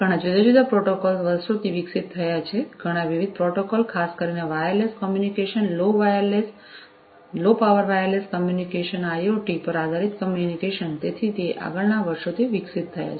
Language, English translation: Gujarati, Many different protocols have evolved over the years many different protocols have evolved over the years particularly with the advent of wireless communication, low power wireless communication, IoT based communication and so on